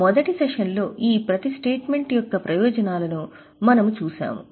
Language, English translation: Telugu, In the first session we had seen the purposes of each of these statements